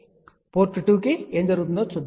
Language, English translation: Telugu, So, let us see to port 2 what happened